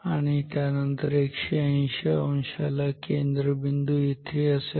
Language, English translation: Marathi, And then at 180 degree the center of the downwards flux is here